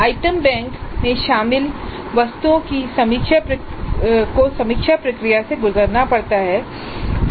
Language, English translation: Hindi, So items included in an item bank need to go through a review process